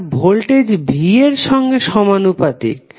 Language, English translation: Bengali, That would be directly proposnal to voltage V